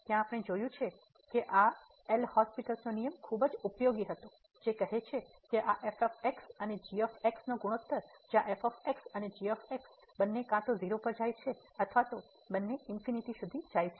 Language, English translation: Gujarati, There what we have seen that this L’Hospital rule was very helpful which says that the ratio of this and where and both either goes to 0 or they both go to infinity